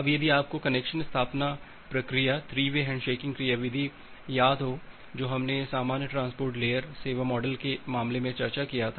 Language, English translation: Hindi, Now, if you remember the connection establishment procedure 3 way handshaking mechanism that we have discussed earlier in the case of general transport layer service model